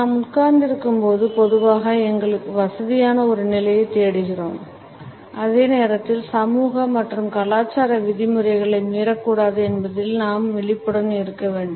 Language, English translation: Tamil, Even though we understand that while we sit; then we normally are looking for a position which is comfortable to us and at the same time we are conscious not to violate the social and cultural norms